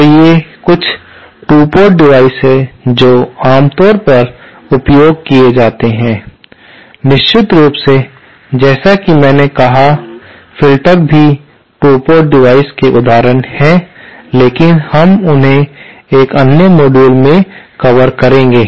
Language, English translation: Hindi, So, these are some of the 2 port devices that are commonly used, of course as I said, filters are also examples of 2 port devices but we shall cover them in a separate module